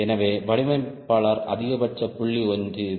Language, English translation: Tamil, so the designer, ok, maximum point one, this one